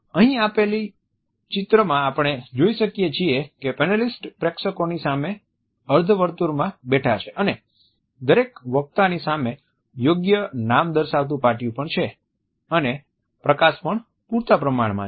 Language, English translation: Gujarati, Here in the given picture we can feel that panelist are seated in a semicircle in front of the audience and then at the same time there are proper paper name tents in front of each speaker and the lighting is also adequately bright